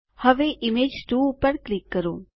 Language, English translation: Gujarati, Now click on Image 2